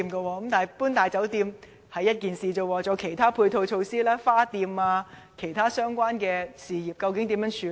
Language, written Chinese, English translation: Cantonese, 除了搬遷"大酒店"外，還有其他配套措施，例如花店等其他相關事業，究竟要怎樣處理？, Apart from funeral parlours there are other supporting facilities such as floral shops and other related businesses and how should they be dealt with?